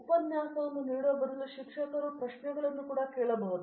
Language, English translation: Kannada, The teacher also can ask questions instead of delivering the lecture